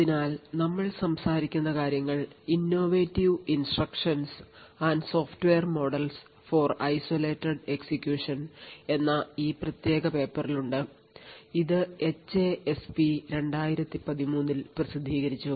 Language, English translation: Malayalam, So, a lot of what we are actually talking is present in this particular paper Innovative Instructions and Software Model for Isolated Execution, this was published in HASP 2013